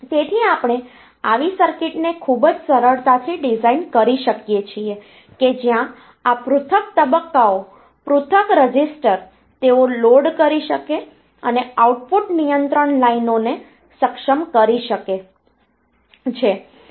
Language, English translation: Gujarati, So, we can very easily design such a circuit where these individual stages individual registers they can have loaded and output enable control lines